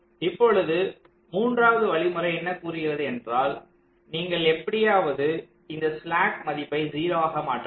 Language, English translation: Tamil, so the third step says: so you have to make this slack value zero somehow